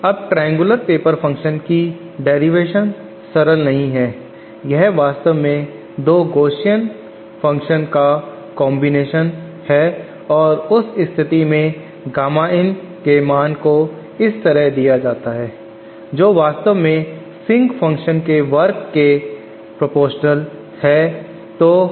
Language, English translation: Hindi, Now derivation of the triangular paper function is not that simple it is actually the combination of two Gaussian functions, in that case the Gamma in value is given like this which is actually proportional to square of the sync function